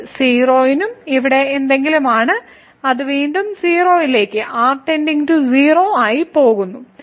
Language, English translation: Malayalam, This is between 0 and something here which again goes to 0 as goes to 0